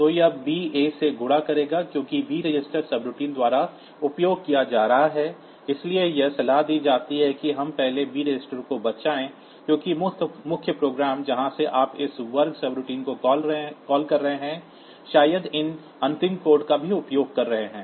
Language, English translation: Hindi, Now, since b registered is being used by the subroutine, so it is advisable that we first save the b registered because the main program from where you are calling this square subroutine maybe using these b register also